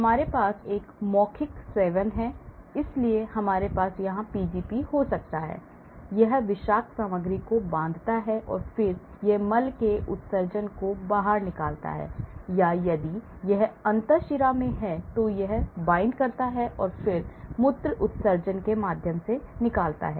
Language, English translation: Hindi, So, we have an oral intake, so we may have Pgp here, so it binds toxic material and then it is excreted faecal excretion or if it is in the intravenous , then it binds and then it removes it through the urinary excretion